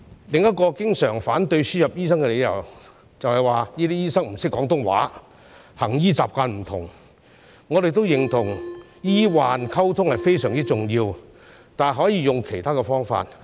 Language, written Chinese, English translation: Cantonese, 另一個經常反對輸入醫生的理由，就是指這些醫生不懂廣東話、行醫習慣不同，我們認同醫患溝通非常重要，但可以用其他方法處理。, Another common reason for opposing the importation of doctors is that these doctors do not know Cantonese and their practice is different . We agree that communication between doctors and patients are extremely important but it can be handled in other ways